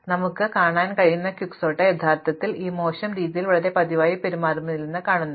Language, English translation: Malayalam, So, it turns out that Quicksort we can show actually does not behave in this worst case way in a very frequent manner